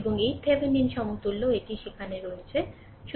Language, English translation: Bengali, And this Thevenin equivalent at bottom it is there